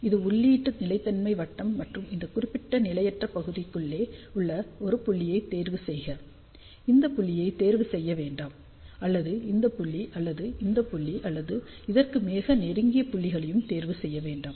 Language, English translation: Tamil, So, this is the input stability circle and choose a point which is deep inside this particular unstable region, do not choose this point; or this point; or this point; or points which are close to this, choose a point which is deeply inside this